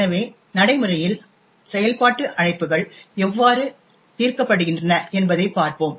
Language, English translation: Tamil, So, let us see how function calls are resolved in practice